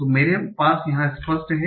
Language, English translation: Hindi, So let me take it here